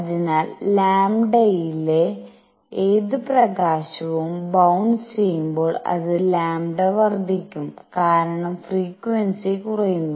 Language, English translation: Malayalam, So, any light at lambda as it bounces it’s lambda is going to increase because frequency is going to go down